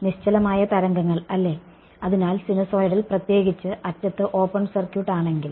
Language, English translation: Malayalam, Standing waves right; so, sinusoidal particularly if it is open circuited at the end